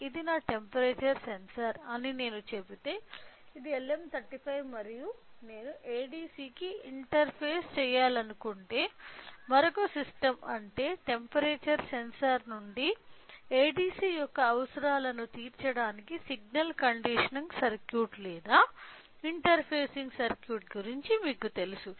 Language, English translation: Telugu, So, if I say this is my temperature sensor so, which is LM35 and if I want to interface to ADC which means another system we will use some kind of you know signal conditioning circuit or interfacing circuit in order to meet the requirements of ADC from the temperature sensor